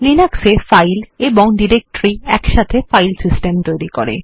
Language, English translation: Bengali, Files and directories together form the Linux File System